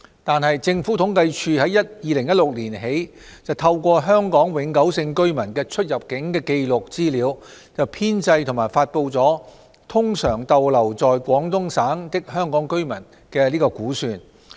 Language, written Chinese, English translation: Cantonese, 然而，政府統計處自2016年起透過香港永久性居民的出入境紀錄資料，編製及發布"通常逗留在廣東省的香港居民"的估算。, Notwithstanding the Census and Statistics Department CSD has been making use of the movement records of Hong Kong permanent residents to compile and release the estimation of Hong Kong residents usually staying in the Guangdong Province since 2016